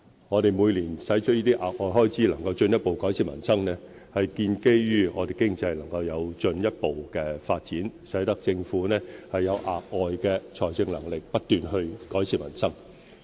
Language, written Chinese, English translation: Cantonese, 我們每年能夠承擔這些額外開支以進一步改善民生，是建基於我們經濟能夠有進一步發展，使政府有額外的財政能力不斷改善民生。, We can afford the additional funding each year owing to the further development of our economy which provides the Government with more financial capability to continuously improve peoples livelihood